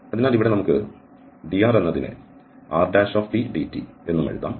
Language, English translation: Malayalam, So here we can also write dr as r prime dt